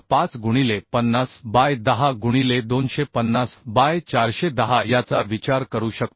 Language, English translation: Marathi, 5 into 50 by 10 into 250 by 410 so this value is coming 1